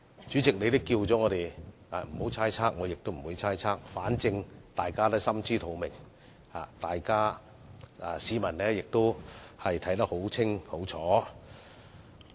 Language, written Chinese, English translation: Cantonese, 主席，你已經提醒我們不要猜測他們的動機，所以我不會猜測，反正大家心知肚明，市民亦看得一清二楚。, President as you have already reminded Members not to impute motives to them I will not make any conjecture . Anyway Members know it only too well and people can see it very clearly